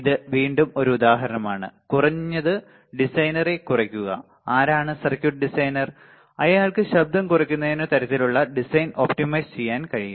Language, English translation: Malayalam, So, this is just again an example that at least minimize the designer right, who is circuit designer can optimize the design such that the noise is minimized